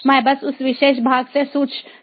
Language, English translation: Hindi, i can simply pick up from that particular part